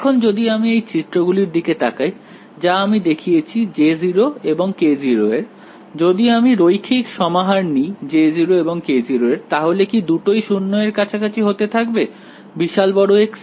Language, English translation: Bengali, Now, when I look back at the plots that I have shown you of J 0 and Y 0; if I take any linear combination of J 0 and Y 0, will both of them go to 0 at large x